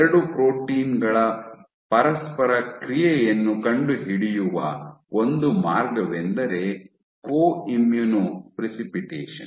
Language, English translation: Kannada, So, one way to go about it to find out the interaction of 2 proteins is using Co Immuno Precipitation